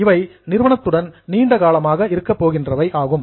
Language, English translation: Tamil, They are going to be with a company for a long time